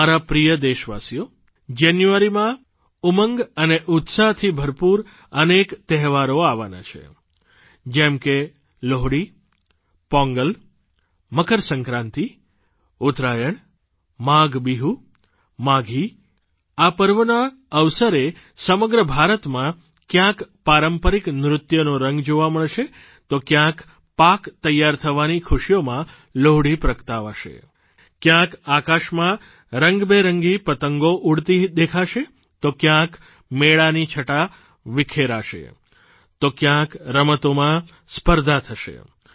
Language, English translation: Gujarati, My dear countrymen, the month of January ushers in many festivals filled with hope & joy such as Lohri, Pongal, MakrSankranti, Uttarayan, MaghBihu, Maaghi; on the occasion of these festivities, the length & breadth of India will be replete… with the verve of traditional dances at places, the embers of Lohri symbolizing the joy of a bountiful harvest at others